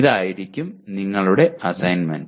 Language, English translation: Malayalam, That will be your assignment